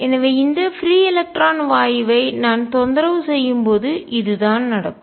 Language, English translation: Tamil, So, this is what happens when I disturb this free electron gas